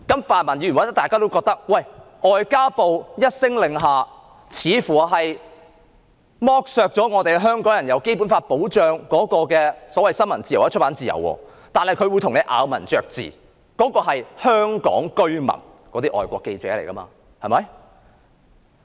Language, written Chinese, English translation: Cantonese, 泛民議員或許認為，外交部一聲令下，剝奪了香港人獲《基本法》保障的新聞自由或出版自由，但外交部會咬文嚼字，指《基本法》保障的是香港居民，而受影響的是外國記者。, Pan - democratic Members may hold that the order of the Ministry of Foreign Affairs has stripped Hong Kong people of their freedom of the press and of publication as safeguarded under the Basic Law . However the Ministry of Foreign Affairs will be excessively particular about wording and point out that those who are safeguarded under the Basic Law are Hong Kong residents while those who are affected are foreign journalists